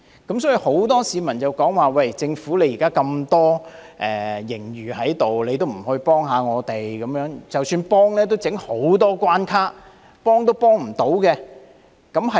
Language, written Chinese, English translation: Cantonese, 因此，很多市民指出，政府現時有大量盈餘也不幫助他們，就算提供幫助，也設下重重關卡，幫不到甚麼。, As such many people are saying that the Government does not help them despite holding a huge surplus and even if it does it has put up many hurdles and cannot help them much